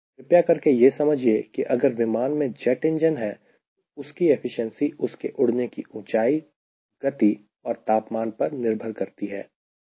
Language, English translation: Hindi, assume that the aircraft is having a jet engine, right, so jet engine efficiency will depend upon the altitudes flying, the speed, the temperature